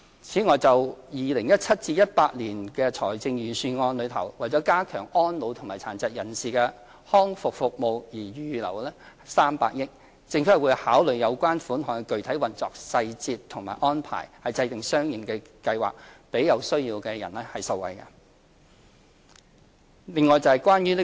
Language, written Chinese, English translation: Cantonese, 此外，就 2017-2018 年度財政預算案為加強安老和殘疾人士康復服務而預留的300億元，政府會考慮有關款項的具體運用細節及安排，制訂相應的計劃，令有需要人士受惠。, And regarding the 30 billion earmarked in the 2017 - 2018 Budget for strengthening elderly services and rehabilitation services for persons with disabilities the Government will examine the specific details and arrangements for utilizing the fund devising corresponding plans to support those in need